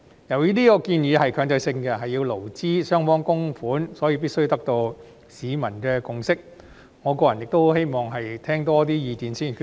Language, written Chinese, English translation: Cantonese, 由於這個建議屬強制性，要勞資雙方供款，所以必須得到市民的共識，我個人亦希望多聽取意見後再作決定。, Since this proposal is mandatory in nature and requires contributions by both the employers and employees a consensus must be reached among members of the public . Personally I also would like to listen to more views before making a decision